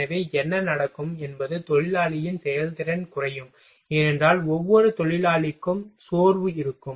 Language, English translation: Tamil, So, what will happen worker’s efficiency will get reduced, because of that because fatigue will be there for each worker